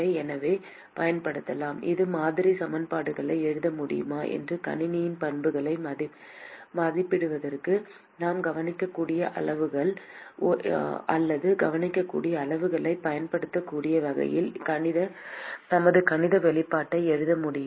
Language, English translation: Tamil, So, can use can we write our model equations and can we write our mathematical expression in such a way that we are able to use the observable parameters or observable quantities in order to estimate the properties of the system